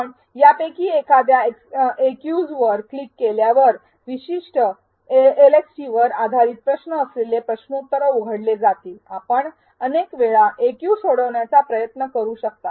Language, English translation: Marathi, As you click on one of these Aqs, the quiz will open up which will contain questions based on that particular LxT, you may attempt the AQ multiple times